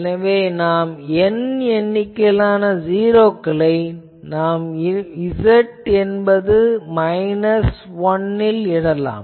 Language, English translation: Tamil, So, capital N number of 0s I am putting at Z is equal to minus 1